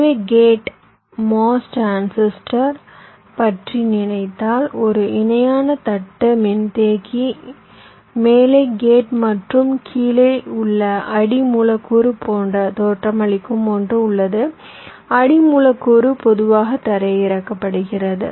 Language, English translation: Tamil, so if you thing about the gate mos transistor, there is a that looks like a parallel plate capacitor gate on top and the substrate at bottom substrate is normally grounded